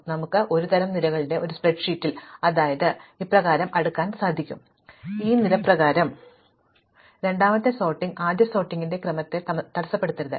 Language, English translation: Malayalam, So, in a spreadsheet where we have a kind of a table with columns, so supposing we sort by this column, and then we sort by this column, the second sorting should not disturb the order of the first sorting